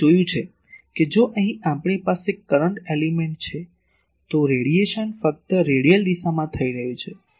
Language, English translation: Gujarati, You have seen that if we have a current element here, the radiation is taking place only in radial direction